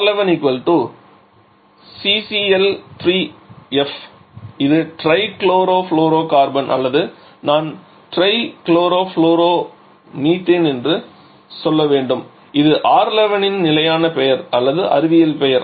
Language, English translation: Tamil, Then so R11 will be equivalent to C CL 3 F that is tri chlorofluorocarbon or I should say try chlorofluoromethane that is the standard name or scientific name of R11